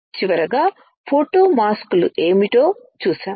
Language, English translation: Telugu, Finally, we have seen what are photo masks